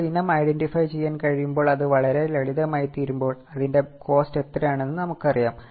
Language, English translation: Malayalam, Now, what happens is when the item is identifiable, it becomes very simple, we know how much is a cost for it